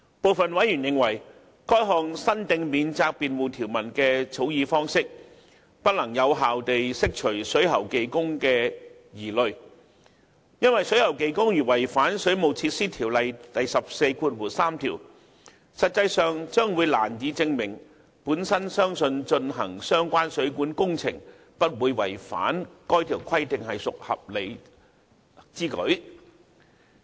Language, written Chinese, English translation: Cantonese, 部分委員認為，該項新訂免責辯護條文的草擬方式，不能有效地釋除水喉技工的疑慮，因為水喉技工如違反《水務設施條例》第143條，實際上將難以證明其本人相信進行相關水管工程不會違反該條規定是屬合理之舉。, Some members are of the view that the proposed new provision for statutory defence as it is drafted cannot alleviate plumbing workers worries effectively because a plumbing worker carrying out the plumbing works which contravene section 143 of WWO cannot easily prove that it was reasonable for him to believe that carrying out the plumbing works would not contravene section 143 of WWO